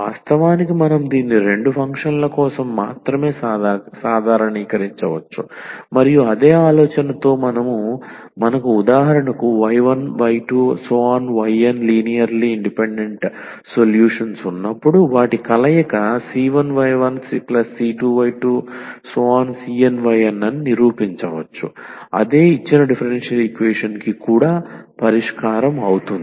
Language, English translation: Telugu, Indeed we can generalize this not only for two functions we can take more functions and with the same idea we can prove that that combination when we have for instance y 1 y 2 y 3 y n linearly independent solutions then their combinations c 1 y 1 plus c 2 y 2 plus c n y 1 will also be the solution of the given differential equation